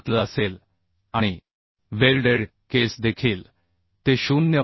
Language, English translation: Marathi, 7l and in welded case also it will be 0